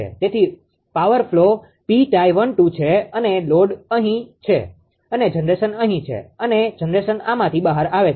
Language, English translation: Gujarati, So, power flow is P tie one two and load is here load is here and generation is here this is the generation coming out from this